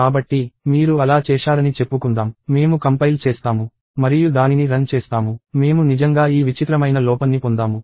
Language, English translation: Telugu, So, let us say I did that; I do a compile and run on that; I get this really bizarre error